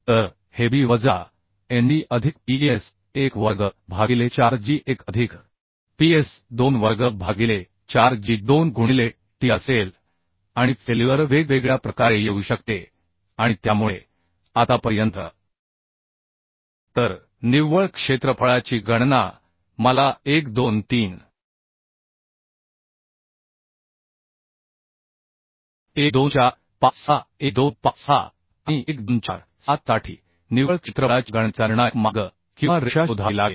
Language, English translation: Marathi, I can find out in this way: So this will be b minus nd plus ps1 square by 4g1 plus ps2 square by 4g2 into t right and failure may occur in different way, and so for calculation of net area I have to find out the critical path or line of calculation of net area for 1 2 3, 1 2 4 5 6, 1 2 5 6 and 1 2 4 7